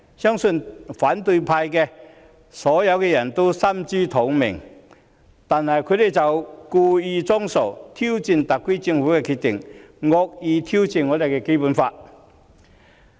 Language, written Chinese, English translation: Cantonese, 相信反對派都心知肚明，但他們卻故意裝傻，挑戰特區政府的決定，惡意挑戰《基本法》。, I believe the opposition camp is well aware of the reasons but they deliberately pretend to be stupid . They challenge the decision of the SAR Government and maliciously challenge the Basic Law